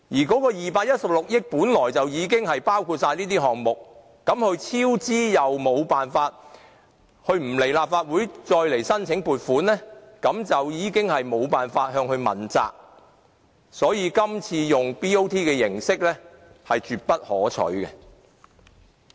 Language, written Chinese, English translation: Cantonese, 該216億元本來已經包括所有項目，但西九文化區管理局超支，又不來立法會再申請撥款，大家便沒有辦法向它問責，所以今次以 BOT 形式是絕不可取的。, The 21.6 billion upfront endowment is supposed to cover all WKCD projects but the WKCD Authority overspent its money and did not come to the Legislative Council for funding . We have no choice but to hold it responsible for the matter . Hence it is definitely unacceptable that the Government proposes to adopt a BOT arrangement again this time